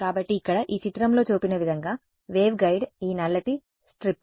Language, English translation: Telugu, So, a waveguide as shown in this figure over here is this black strip over here